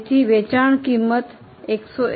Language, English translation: Gujarati, So, selling price comes to 151